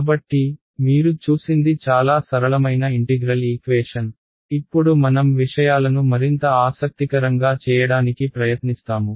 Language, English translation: Telugu, So, what you looked at was a very simple kind of integral equation, now we’ll try to make things little bit more interesting